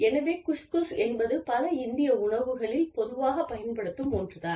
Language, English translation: Tamil, So, Khus Khus is something, that is very commonly used, in many Indian dishes